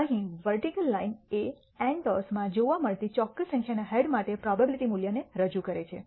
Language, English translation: Gujarati, The vertical line here represents the probability value for a particular number of heads being observed in n tosses